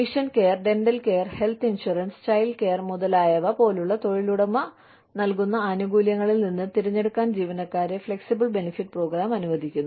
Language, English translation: Malayalam, Flexible benefits program allows employees, to choose from a selection of employer provided benefits, such as vision care, dental care, health insurance, child care, etcetera